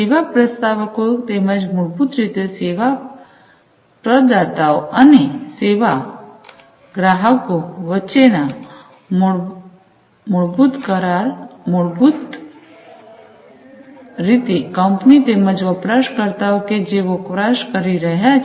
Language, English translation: Gujarati, So, you know contracts between the service offerors as well as the so basically the service providers and the service consumers; so basically the company as well as the end users who are consuming